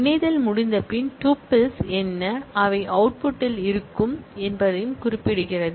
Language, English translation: Tamil, It also specifies that after the joining has been done, what are the tuples, which will be present in the output join